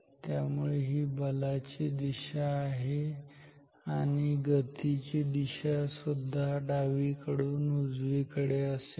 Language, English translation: Marathi, So, this is the direction of the force and the direction of the motion is also from left to right